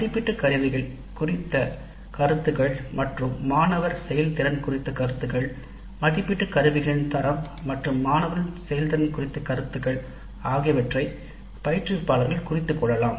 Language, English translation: Tamil, Comments on assessment instruments and student performance, the instructor herself can note down the performance of the students as well as the quality of the assessment instruments